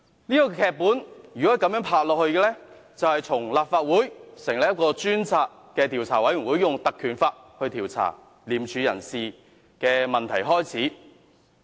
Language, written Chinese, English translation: Cantonese, 這份劇本如果發展下去，便是從立法會引用《條例》成立專責委員會，以調查廉署人事的問題開始。, If the story is allowed to develop further a new chapter will start with the appointment of a select committee by this Council under the Ordinance to inquire into the personnel reshuffle within ICAC